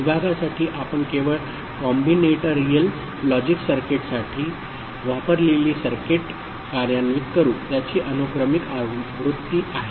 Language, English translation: Marathi, For the division we shall just implement the circuit that we had used for combinatorial logic circuit, its sequential version ok